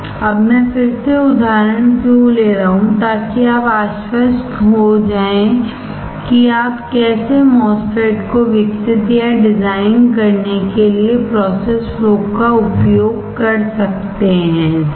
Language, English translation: Hindi, Now then why I am taking the example again, so that you are confident of how you can use the process flow for developing or for designing the MOSFET, right